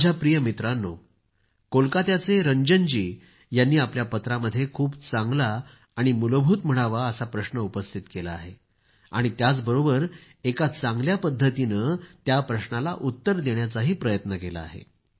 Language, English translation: Marathi, Ranjan ji from Kolkata, in his letter, has raised a very interesting and fundamental question and along with that, has tried to answer it in the best way